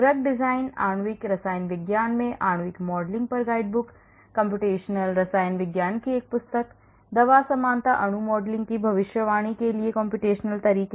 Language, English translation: Hindi, guide book on molecular modeling in drug design, Cheminformatics, A handbook of computational chemistry, Computational methods for the prediction of drug likeness molecule modeling